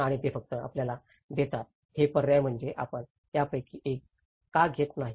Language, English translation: Marathi, And they just give you this is options why not you take one of these